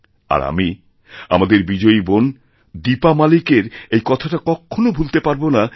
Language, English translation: Bengali, And, I shall never be able to forget what our victorious sister Deepa Malik had to say